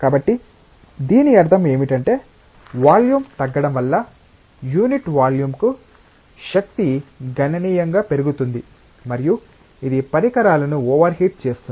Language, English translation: Telugu, So, what it means is that the power then dissipation per unit volume is getting significantly increase because of reduction in volume and that makes the devices overheated